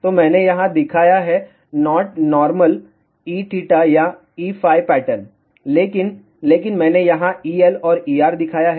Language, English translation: Hindi, So, I have shown here not normal E theta or E phi pattern, but I have shown here E L and E R